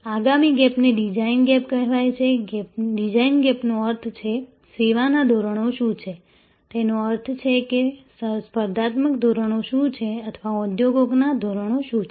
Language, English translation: Gujarati, The next gap is call the design gap, the design gap means, what the service standards are; that means, what the competitive standards are or what the industries standards are